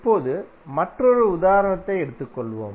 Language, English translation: Tamil, Now, let us take another example